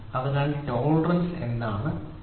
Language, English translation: Malayalam, So, tolerance what is tolerance